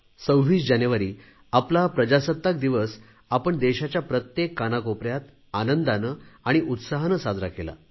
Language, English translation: Marathi, 26th January, our Republic Day was celebrated with joy and enthusiasm in every nook and corner of the nation by all of us